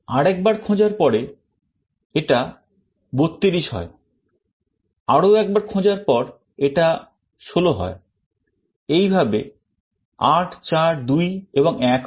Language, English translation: Bengali, After another search, it becomes 32, after another search it becomes 16, like this 8 4 2 and 1